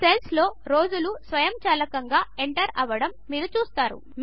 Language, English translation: Telugu, You see that the days are automatically entered into the cells